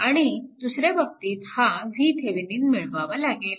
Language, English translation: Marathi, And other case, that you have to find out that this V Thevenin you have to obtain